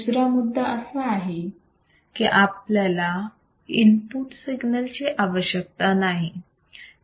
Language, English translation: Marathi, Second point it will not require or it does not require any input signal